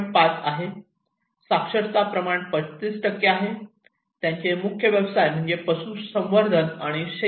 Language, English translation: Marathi, 5, literacy was 35%, their main occupation is animal husbandry and agriculture